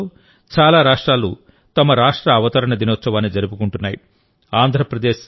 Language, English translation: Telugu, In the coming days, many states will also celebrate their Statehood day